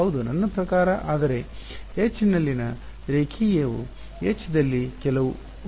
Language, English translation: Kannada, Yeah I mean, but linear in H is not some derivative in H right